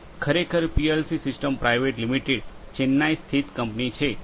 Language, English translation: Gujarati, It is actually a Chennai based company PLC systems private limited